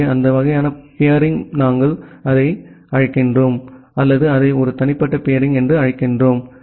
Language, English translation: Tamil, So, those kind of peering we call it or we term it as a private peering